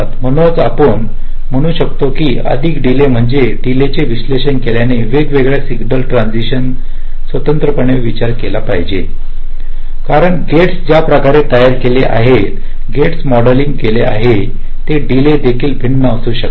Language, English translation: Marathi, so a more realistic ah, you can say, means analysis of the delays should consider the different signal transition separately, because the way gates are designed, gates are modeled, those delays can also be different, right